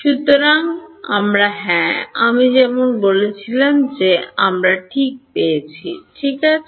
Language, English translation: Bengali, So, we yeah as I said we just got at for free ok